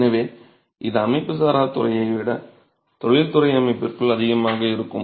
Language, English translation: Tamil, So, this would be more within an industrial setup rather than in the unorganized sector